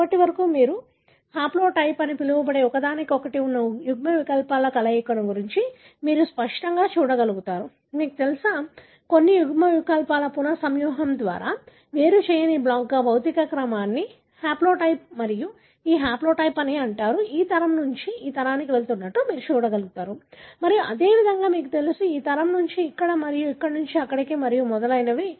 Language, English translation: Telugu, By now, you are able to clearly look at a combination of alleles that are located to each other what you call as haplotype, you know, the physical order of certain alleles as a block not separated by a recombination is called as haplotype and this haplotype, you can see that goes from this generation to this generation and likewise, you know, from this generation to here and from here to here and so on